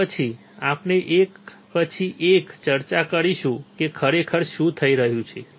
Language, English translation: Gujarati, And then we will discuss one by one what is actually happening all right